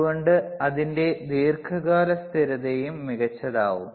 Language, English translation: Malayalam, So, that is why, it is long term stability is also kind of excellent,